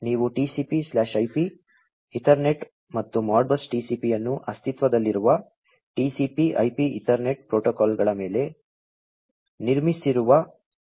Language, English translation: Kannada, So, you have TCP/IP Ethernet and Modbus TCP built on top of the existing TCP IP Ethernet protocols